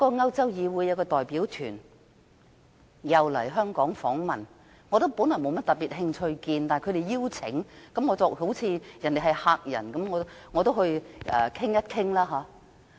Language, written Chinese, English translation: Cantonese, 歐洲議會有一個代表團來香港訪問，我本來沒有甚麼興趣與他們會面，但他們邀請了我，而他們既然是客人，我便應邀會面。, A delegation of the European Parliament visited Hong Kong . Originally I was not interested in meeting them but they sent me an invitation . Since they were guests I accepted the invitation and met with them